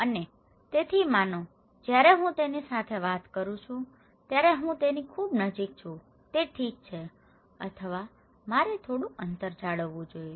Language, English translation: Gujarati, And so suppose, if I am very close to someone when I am talking to him, is it okay or should I maintain some distance